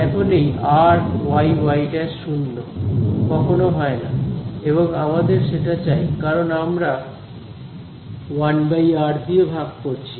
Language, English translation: Bengali, So, this r y y prime equal to 0 never happens and we need that because we are actually dividing by 1 by r right